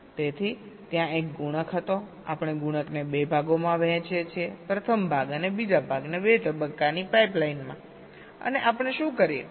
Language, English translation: Gujarati, so it was something like this: so there was a multiplier, we divide the multiplier into two parts, first half and the second half, in a two stage pipe line, and what we do